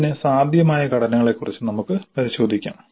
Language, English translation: Malayalam, We will have a look at the possible structures